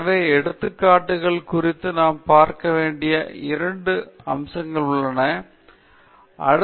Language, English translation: Tamil, So, with respect to illustrations, there are two major aspects that we need to look at the first is choosing the right type of illustration okay